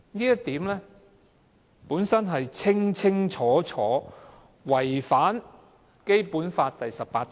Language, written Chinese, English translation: Cantonese, 因此，《條例草案》顯然違反《基本法》第十八條。, Therefore the Bill is obviously in contravention of Article 18 of the Basic Law